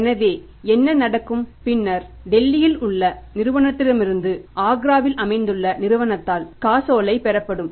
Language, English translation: Tamil, So, it means what will happen when the check will be received by the firm who is located in Agra from the firm in Delhi